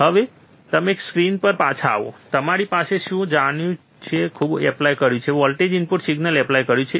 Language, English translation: Gujarati, Now, if you come back to the screens, I have, I know I much applied I have applied voltage input signal